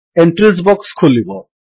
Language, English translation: Odia, The Entries box pops up